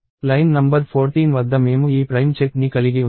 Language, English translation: Telugu, At line number 14 we had this primality check